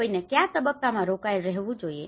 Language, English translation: Gujarati, To what stage one has to be engaged